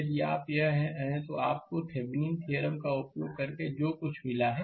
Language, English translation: Hindi, Similarly, if you this is you got whatever using Thevenin’s theorem